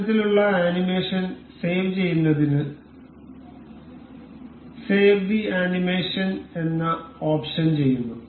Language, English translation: Malayalam, To save this kind of animation, we will go with save animation